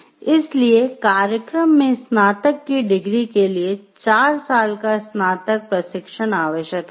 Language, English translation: Hindi, So, four years of undergraduate training leading to a bachelor degree in engineering program is essential